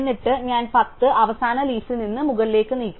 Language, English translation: Malayalam, And then I move the 10 from the last leaf to the top